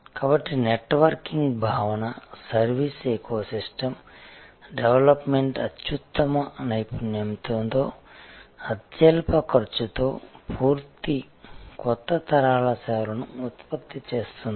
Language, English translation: Telugu, So, the concept of networking, service ecosystem development based on best expertise at lowest cost will generate complete new generations of services